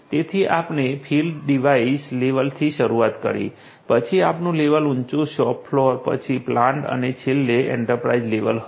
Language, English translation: Gujarati, So, we started with the field device level, then the next level higher up was the shop floor then the plant and finally, the enterprise level